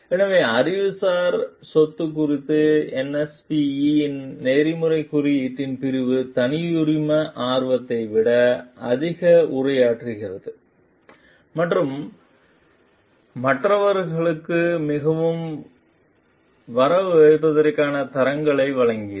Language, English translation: Tamil, So, the section of the NSPE s code of ethics on intellectual property, addresses more than proprietary interest and gave standards for fairly crediting others as well